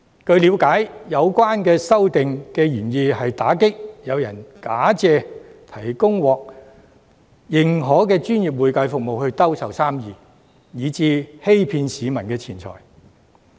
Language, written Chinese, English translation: Cantonese, 據了解，有關修訂的原意，是要打擊有人假借提供獲認可的專業會計服務來兜售生意，欺騙市民的錢財。, It is understood that the amendments are intended to crack down on hawking of business by claiming to provide professional accounting service to defraud money from the public